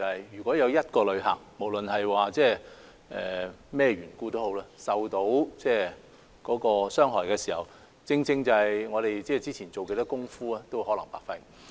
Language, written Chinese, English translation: Cantonese, 如果有一位旅客，無論因為甚麼緣故而受到傷害，我們之前做了多少工夫亦可能會白費。, If a traveller were injured due to whatever reasons the efforts we have made beforehand might all go down the drain